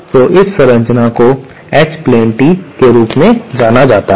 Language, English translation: Hindi, So, this structure is known as H plane tee